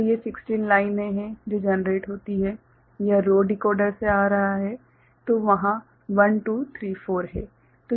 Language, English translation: Hindi, So, these are 16 lines that are generated; this is coming from the row decoder ok; so there are 1 2 3 4